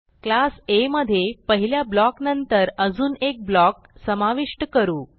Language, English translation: Marathi, Include one more block after the first one in class A